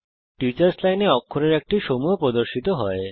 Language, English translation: Bengali, The Teachers Line displays the characters that have to be typed